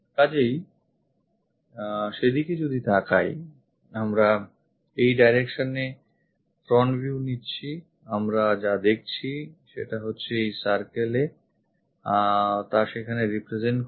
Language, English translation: Bengali, So, if we are looking at that if we pick front view in this direction; what we see is, this circle will be represented there